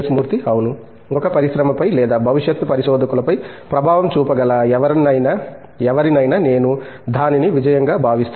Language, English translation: Telugu, Yeah, I would say anyone who can make an impact on either an industry or the future researchers, is what I would consider it as a success